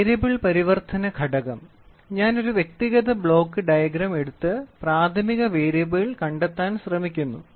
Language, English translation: Malayalam, The Variable Conversion Element so, I am trying to take an individual block diagram and am trying to tell primary variable